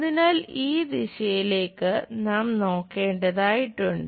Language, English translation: Malayalam, So, we have to look at from this direction